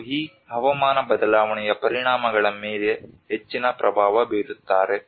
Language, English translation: Kannada, And who have a bigger impact on these climate change impacts